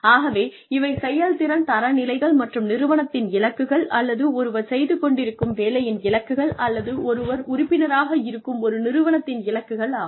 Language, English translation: Tamil, So, those are the performance standards, and the goals of the institute, or goals of the job, that one is doing, or the organization, that one is a part of